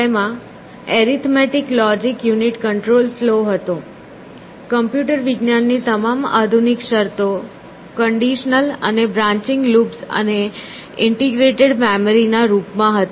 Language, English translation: Gujarati, It had an arithmetical logic unit control flow, all modern terms in computer science in the form of conditional and branching loops and integrated memory